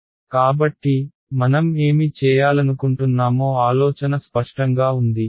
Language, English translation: Telugu, So, the idea is clear what we are trying to do